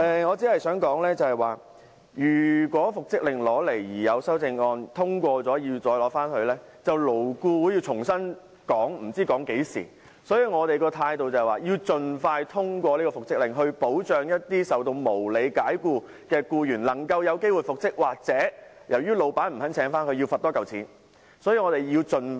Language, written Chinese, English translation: Cantonese, 我只想說，如果復職令提交立法會審議而有修正案獲得通過，便要由勞顧會重新討論，不知討論至何時，所以我們的態度是要盡快通過復職令，以保障受無理解僱的僱員能夠有機會復職，如僱主不願意重新聘請僱員，便要多繳罰款。, What I wish to say is that if the reinstatement Bill was tabled to the Council for scrutiny and if an amendment was passed the issue would have to be discussed by LAB afresh until who knows when . Therefore our position is that the reinstatement Bill must be passed as early as possible so that employees unreasonably dismissed can be reinstated . Employers who refuse to re - engage the employees are subject to a heavier fine